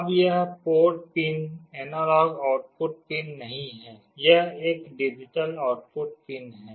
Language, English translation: Hindi, Now this port pin is not an analog output pin, it is a digital output pin